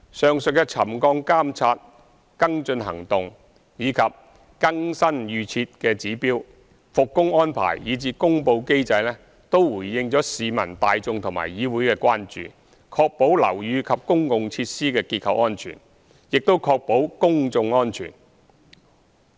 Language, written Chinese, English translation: Cantonese, 上述的沉降監察、跟進行動、更新預設指標、復工安排，以至公布機制，均是回應市民大眾和議會的關注，確保樓宇及公共設施的結構安全，亦確保公眾安全。, The aforesaid monitoring of subsidence follow - up actions updated pre - set trigger levels arrangements for resumption of works and the announcement mechanism are all implemented in answer to the concerns of the general public and this Council as well with a view to ensuring structural safety of buildings and public facilities and public safety